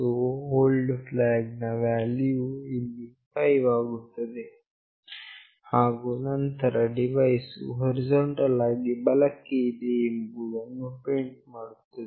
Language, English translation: Kannada, So, old flag value will become 5 here, and then we print the “Device is horizontally right”